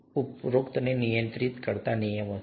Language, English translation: Gujarati, Are there rules that govern the above